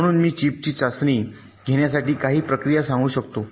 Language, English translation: Marathi, so i can tell you some procedure for testing the chip